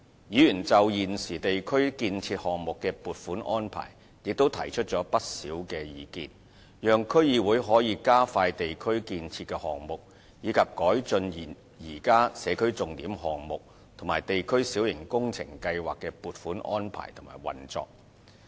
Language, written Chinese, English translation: Cantonese, 議員就現有地區建設項目的撥款安排也提出不少意見，讓區議會可以加快地區建設的項目，以及改進現有社區重點項目及地區小型工程計劃的撥款安排及運作。, Members have put forward quite a number of views on the existing funding arrangements for construction projects in the districts so that DCs may expedite the implementation of construction projects in the districts and improve the existing funding arrangements for and operation of the projects under the Signature Project Scheme SPS and district minor works programme